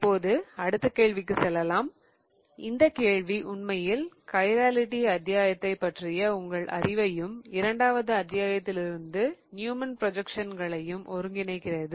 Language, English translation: Tamil, Now, this question really combines your knowledge from the chirality chapter and your Newman projections from the second chapter